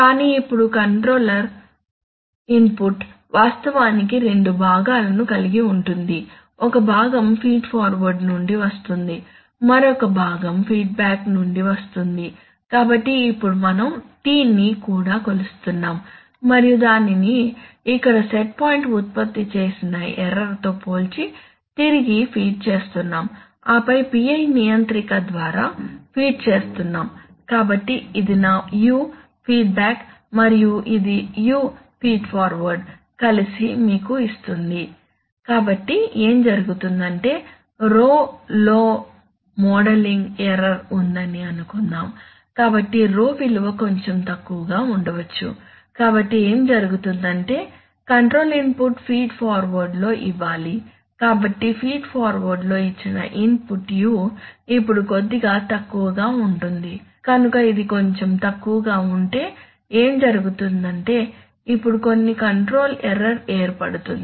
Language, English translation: Telugu, But now the control input actually consists of two components, one part comes from feed forward the other part comes from feedback, so now we are measuring the T also and feeding it back comparing it with the set point generating error here and then feeding through a PI controller, so this is my U feedback and this is my U feed forward which together give you, so what is happening is that suppose there is modeling error in row, so the row is maybe slightly less, so what will happen is that the control input do to feed forward, only feed forward the, so the control input you only do two feet forward will now be a little less, so if it is a little less then what will happen is that is that some control error will now build